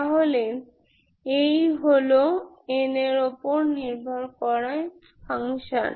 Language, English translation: Bengali, So this is the function depending on n, like that you can choose